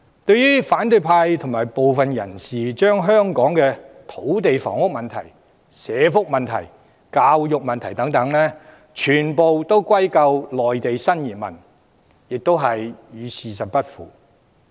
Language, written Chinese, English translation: Cantonese, 對於反對派及部分人士把香港的土地房屋、社會福利、教育等問題全部歸咎於內地新移民，亦與事實不符。, The opposition and a handful of other people have blamed the new arrivals from Mainland for all our problems in land supply housing social welfare and education . But this is inconsistent with the truth